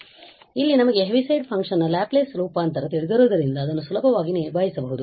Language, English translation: Kannada, But here since we know the Laplace transform of the Heaviside function it can easily be handled